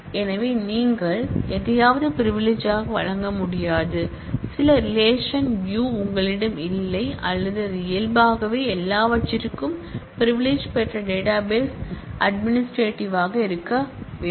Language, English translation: Tamil, So, you cannot grant privilege on something, some relation or view on which you yourself do not have that or it has to be the database administrative who naturally has privilege for everything